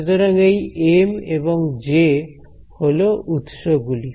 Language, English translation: Bengali, So, these M and J these are sources ok